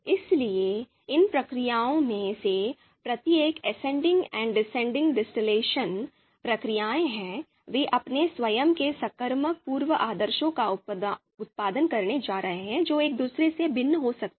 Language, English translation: Hindi, So each of these procedures, ascending and descending distillation procedures, they are going to produce their own transitive pre orders which might be different from each other